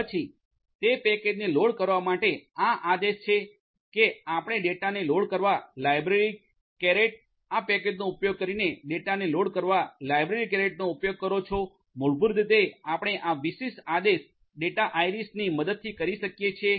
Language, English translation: Gujarati, Then to load that particular package this is this command that you are going to use library carried loading the data using this package for that loading the data basically you can do with the help of this particular command data iris